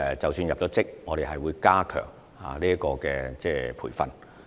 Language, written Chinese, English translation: Cantonese, 即使入職後，我們也會加強培訓。, After they join the service we will provide reinforcement training